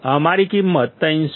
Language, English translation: Gujarati, Our value is 300